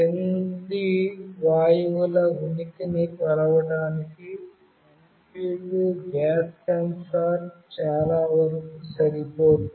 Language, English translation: Telugu, MQ2 gas sensor is most suited to measure the presence of the following gases